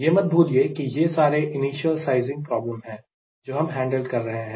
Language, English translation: Hindi, and do not forget, these are all initial sizing problem we are handling